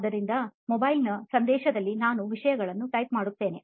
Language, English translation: Kannada, But mobile phone, in message I type those things